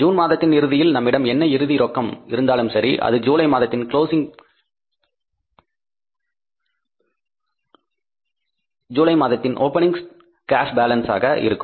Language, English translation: Tamil, Whatever the amount of the cash is left with us at the end of the month of June that closing balance of the cash will become the opening balance for the month of July